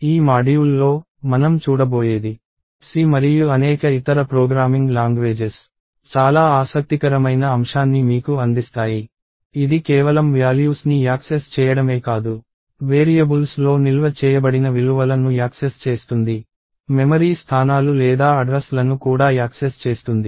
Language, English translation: Telugu, In this module, what we are going to look at is very interesting aspect that C and several other programming languages give you, which is not just accessing values that are stored in variables, but also getting access to the memory locations or the addresses